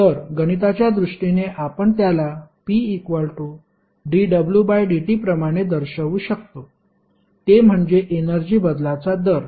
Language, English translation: Marathi, So, in mathematical terms we can represent it like p is equal to dw by dt that is rate of change of energy